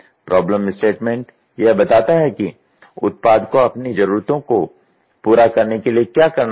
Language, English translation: Hindi, The problem statement is an abstraction of what the product is supposed to do to meet its need